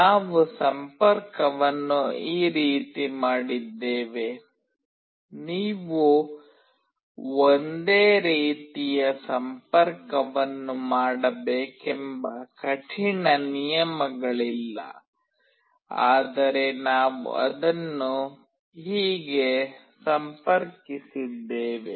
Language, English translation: Kannada, This is how we have made the connection, there is no hard and fast rule that you have to make the same connection, but this is how we have connected it